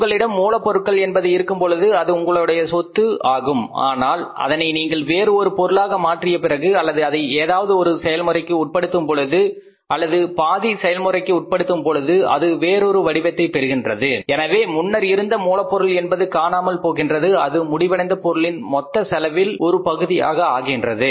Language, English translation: Tamil, When you have the raw material it is an asset to you but when you converted or you processed that material or you semi process that material it took another shape so that material is gone that has become one part of the total cost of the finished product